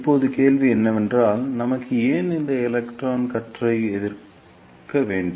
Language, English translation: Tamil, Now the question is why we need this repelling of electron beam